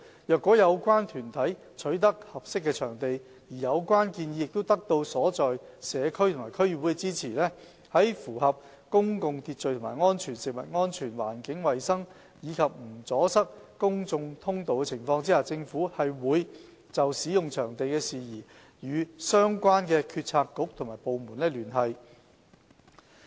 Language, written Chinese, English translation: Cantonese, 若有關團體取得合適的場地，而有關建議得到所在社區及區議會支持，在符合公共秩序和安全、食物安全、環境衞生及不阻塞公眾通道的情況下，政府會就使用場地事宜與相關政策局及部門聯繫。, If the relevant bodies have secured suitable sites and obtained support from the relevant community and DCs and provided that public order and safety food safety and environmental hygiene are upheld public passageways are not obstructed we stand ready to facilitate liaison with relevant Government Bureaux and Departments regarding the use of the sites